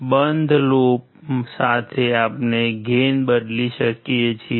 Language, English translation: Gujarati, With closed loop we can change the gain